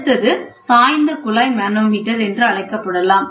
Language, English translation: Tamil, You can also have something called as inclined tube manometer